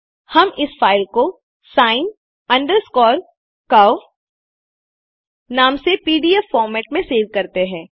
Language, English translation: Hindi, We will save the file by the name sin curve in pdf format